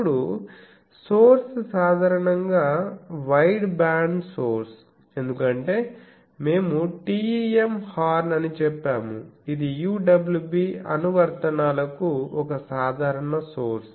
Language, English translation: Telugu, Now, the source usually is an wideband source as we have saying TEM horn that is a typical source for UWB applications